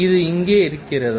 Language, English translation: Tamil, Is it here